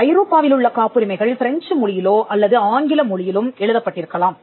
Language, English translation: Tamil, So, for the Chinese patent in the Chinese language, European patents could be in French, it could be in English